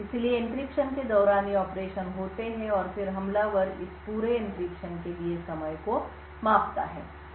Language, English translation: Hindi, So, during the encryption these operations take place and then the attacker measures the time for this entire encryption